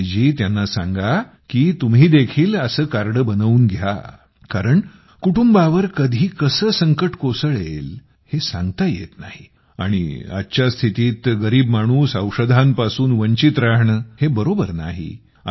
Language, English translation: Marathi, And do tell them that they should also get such a card made because the family does not know when a problem may come and it is not right that the poor remain bothered on account of medicines today